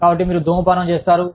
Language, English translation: Telugu, So, you start smoking